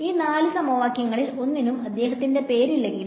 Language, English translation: Malayalam, So, even though none of these 4 equations has his name